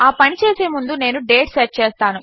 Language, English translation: Telugu, Just before I do that I am going to set the date